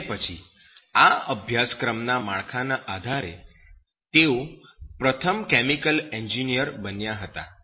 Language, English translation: Gujarati, And then, based on this course structure, he made the first chemical engineer